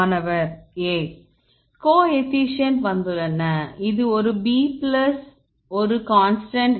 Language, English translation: Tamil, The coefficients are come this for example, this a b plus a you can say constant